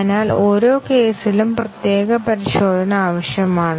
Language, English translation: Malayalam, So, for each case separate testing is needed